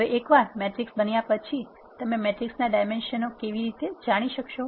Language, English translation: Gujarati, Next we move on to matrix metrics once a matrix is created how can you know the dimension of the matrix